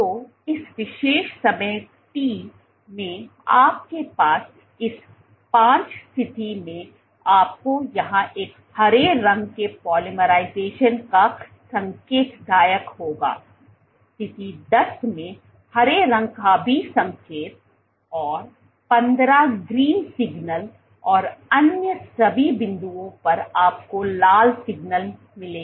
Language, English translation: Hindi, So, what you will have at this position 5 at this particular time t you would have a green signal here indicative of polymerization at position 10 also a green signal and position 15 green signal and at all other points you will have red signal